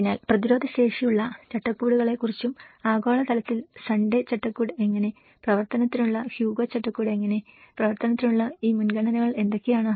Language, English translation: Malayalam, So, when we talk about the resilience frameworks and that at a global level, how the Sundae framework, how the Hugo framework for action, what are these priorities for action